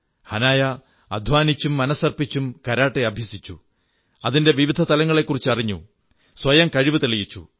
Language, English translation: Malayalam, Hanaya trained hard in Karate with perseverance & fervor, studied its nuances and proved herself